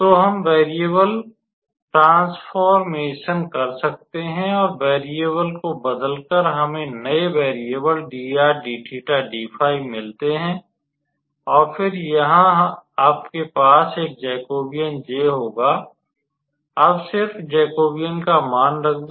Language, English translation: Hindi, We can do the how to say change of variable or transformation, and by changing the variable we have next new variable as dr d theta d phi, and then here you will have a Jacobian J, and just substitute the value of the Jacobian